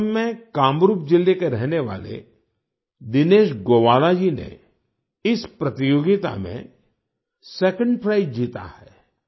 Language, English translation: Hindi, Dinesh Gowala, a resident of Kamrup district in Assam, has won the second prize in this competition